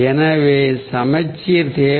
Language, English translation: Tamil, so symmetry is needed